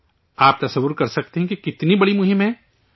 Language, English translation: Urdu, You can imagine how big the campaign is